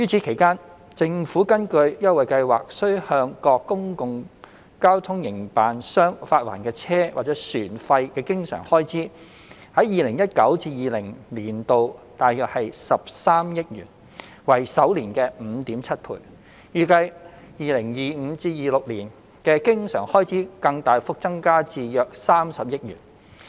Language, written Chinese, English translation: Cantonese, 其間，政府根據優惠計劃需向各公共交通營辦商發還的車費或船費的經常開支，在 2019-2020 年度約13億元，為首年的 5.7 倍，預計 2025-2026 年度的經常開支更大幅增加至約30億元。, At the same time the recurrent expenditure for reimbursing public transport operators under the Scheme reached 1.3 billion in 2019 - 2020 or 5.7 times the sum in 2012 . The recurrent expenditure is expected to increase substantially to about 3 billion in 2025 - 2026